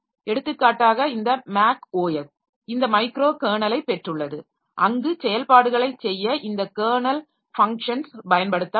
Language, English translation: Tamil, For example, this MAC OS, it has got this microcarnel where this kernel functions will be utilized for getting the operations done